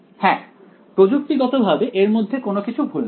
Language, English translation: Bengali, Yes, technically there is nothing wrong with this